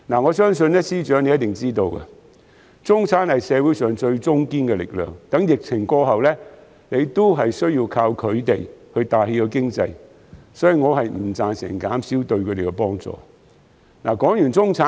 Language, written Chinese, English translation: Cantonese, 我相信司長一定知道，中產是社會上最中堅的力量，待疫情過後，還要依靠他們帶起經濟，所以我不贊成減少對他們的幫助。, I believe FS should be aware that the middle class is not only the mainstay of Hong Kong society but also the people to rely on to revitalize the economy after the pandemic . Hence I do not agree to reduce the assistance to them